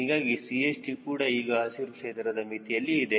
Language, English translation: Kannada, so chd is also now in the green range